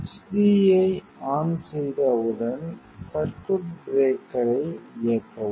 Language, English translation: Tamil, Once switch on the h d, switch then switch on the circuit breaker